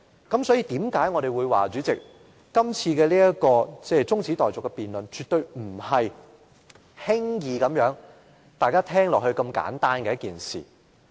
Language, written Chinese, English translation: Cantonese, 因此，為何我們會說，這次中止待續的議案絕對不是大家聽起來很簡單的一件事。, Therefore that is why this adjournment motion is absolutely not a simple matter as it sounds